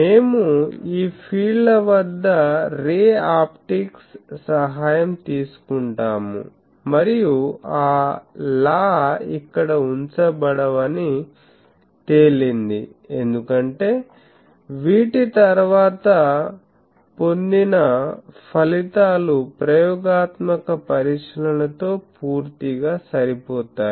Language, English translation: Telugu, So, we will take help of ray optics at this fields and it had been seen that those laws would not put here because, the results obtained after these fully matches with the experimental observations